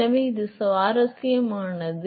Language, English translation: Tamil, So, that is interesting